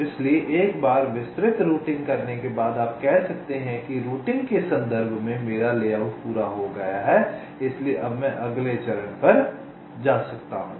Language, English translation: Hindi, so once detailed routing is done, you can say that, well, my layout in terms of routing is complete, so now i can move on to the next step